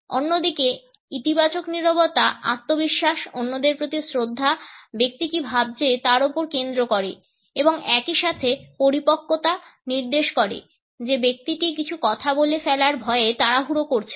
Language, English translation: Bengali, On the other hand positive silence indicates confidence, respect for others, focus on what the person is thinking and at the same time maturity by suggesting that the person is not in hurry to blurt out something